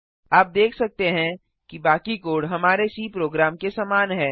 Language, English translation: Hindi, You can see that the rest of the code is similar to our C program